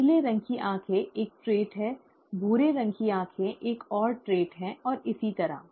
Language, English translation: Hindi, Blue colored eyes is a trait, brown colored eyes is another trait, and so on